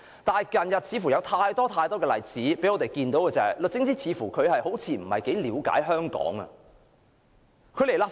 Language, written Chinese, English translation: Cantonese, 不過，最近有很多例子讓我們看到，律政司司長似乎並不了解香港的情況。, But many recent instances have shown that the Secretary for Justice does not seem to quite understand the situation in Hong Kong